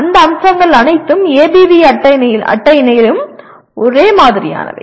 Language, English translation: Tamil, All those features are the same in ABV table as well